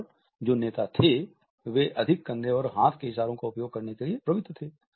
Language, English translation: Hindi, And those who were leaders tended to use more shoulder and arm gestures